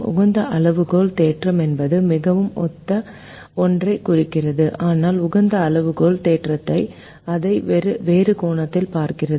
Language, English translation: Tamil, the optimality criterion theorem also means something very similar, but the optimality criterion theorem looks at it from a different angle